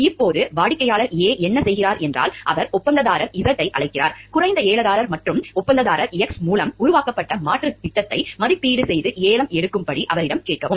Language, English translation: Tamil, Now, what client A does then is, he calls on contractor Z; the lower low bidder and ask him to evaluate and bid on an alternate schemes conceived by contractor X